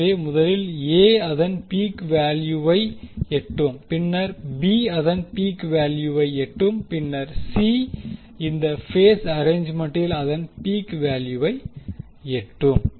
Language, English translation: Tamil, So, will see first A will reach its peak value, then B will reach its peak value and then C will reach its peak value in the in this particular phase arrangement